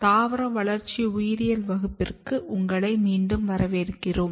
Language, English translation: Tamil, Welcome back to Plant Developmental Biology course